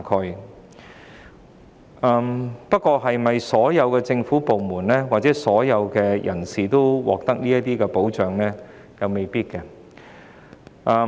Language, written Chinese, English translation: Cantonese, 然而，並非所有政府部門或所有人士都為失明人士提供這份保障。, However not all government departments or all people will protect blind persons in a similar way under other circumstances